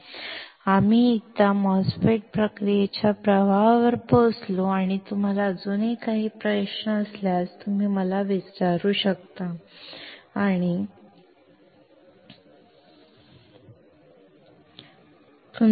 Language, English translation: Marathi, Once we reach MOSFET process flow and if you still have any question, you can ask me or ask the TA